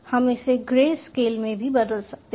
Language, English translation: Hindi, we can convert this into grey scale also